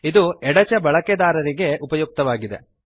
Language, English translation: Kannada, This is useful for left handed users